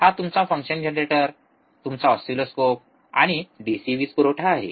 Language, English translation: Marathi, This is your function generator your oscilloscope and DC power supply